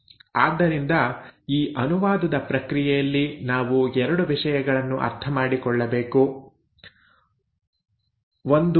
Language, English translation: Kannada, So we need to understand 2 things in this process of translation, 1